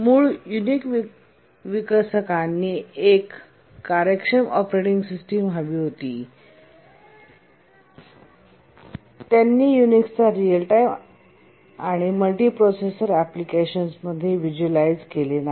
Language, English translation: Marathi, The original Unix developers wanted an efficient operating system and they did not visualize the use of Unix in real time and multiprocessor applications